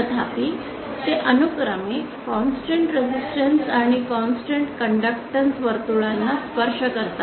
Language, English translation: Marathi, However they do touch a constant conductance and constant resistance circle respectively